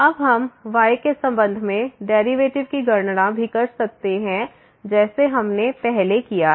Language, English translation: Hindi, Now, we can also compute the derivative with respect to like we have done before